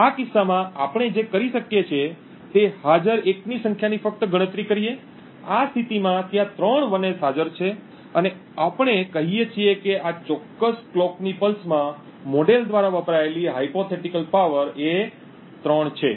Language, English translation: Gujarati, In this case what we do is we simply count the number of 1s that are present, in this case there are three 1s present and we say that the hypothetical power consumed by the model is 3 in this particular clock pulse